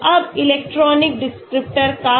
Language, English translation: Hindi, Now what about electronic descriptor